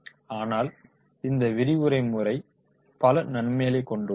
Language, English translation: Tamil, But this lecture method is having the several disadvantages